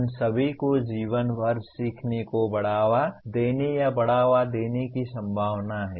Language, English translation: Hindi, All of them are likely to promote or will promote the life long learning